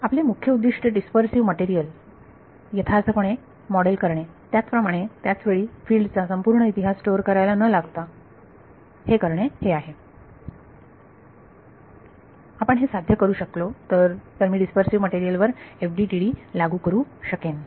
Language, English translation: Marathi, So, our objective is to model a dispersive material realistically at the same time not have to store the entire field history, if we can achieve these then I can apply FDTD to dispersive materials